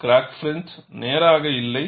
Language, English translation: Tamil, The crack front is not straight